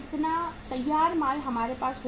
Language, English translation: Hindi, How much finished goods we will have